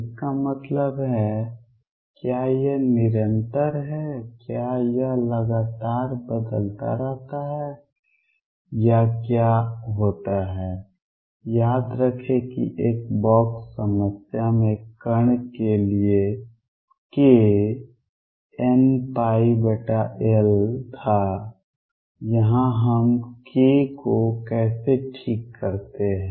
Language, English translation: Hindi, That means, is it continuous does it change discontinuously or what happens recall that for particle in a box problem k was one pi over L here how do we fix k